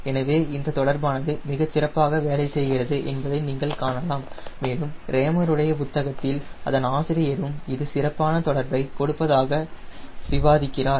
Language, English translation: Tamil, so you see this correlation work very well and in the rammers book the author also claims this gives the excellent correlation